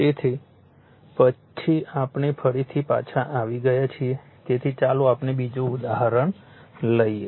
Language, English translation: Gujarati, So, next we are back again, so let us take another example